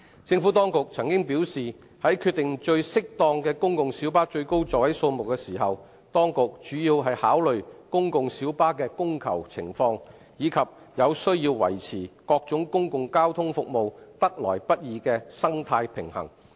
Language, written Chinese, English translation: Cantonese, 政府當局曾表示，在決定公共小巴最適當的最高座位數目時，當局主要考慮公共小巴的供求情況，以及有需要維持各種公共交通服務得來不易的生態平衡。, The Administration has indicated that when deciding on the appropriate maximum seating capacity of PLBs the main considerations are the supply and demand for PLBs and the need to maintain the delicate balance amongst various public transport services